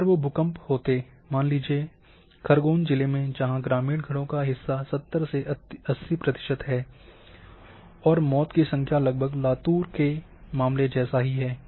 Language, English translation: Hindi, If those would have occurred say in Khargon then 70 to 80 percent of the house where rural houses number of death would have been almost same as in case of Latur